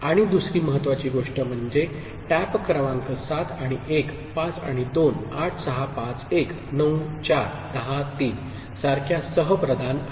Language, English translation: Marathi, And the other important thing is the tap numbers are co prime like 7 and 1, 5 and 2, 8 6 5 1, 9 4, 10 3 relatively between them, ok